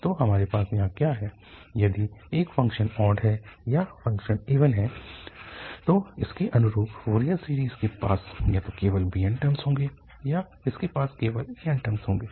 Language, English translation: Hindi, So, what we have here that if a function is odd or the function is even, then the corresponding Fourier series either will have only the bn's terms or it will have only the an's terms